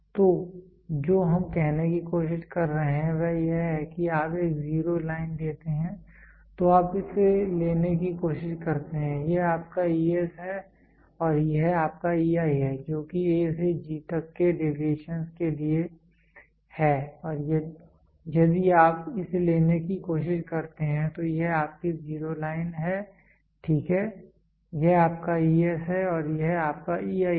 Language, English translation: Hindi, So, what we are trying to say is you take a zero line then you try to take this is your ES and this is your EI this is for a deviations for A to G and if you try to take this is your zero line, ok, this is your ES and this is your EI